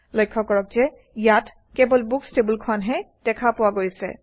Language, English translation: Assamese, Notice that Books is the only table visible here